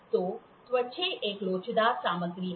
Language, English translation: Hindi, So, a skin is an elastic material